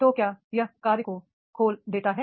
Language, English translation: Hindi, So, therefore, does it open the task specific